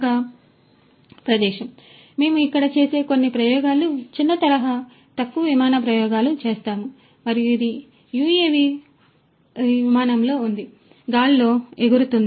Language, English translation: Telugu, And we do some of our experiments over here small scale low flight experiments we perform, and this is this UAV it is in flight, it is flying in the air